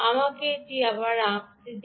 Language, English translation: Bengali, let me redraw this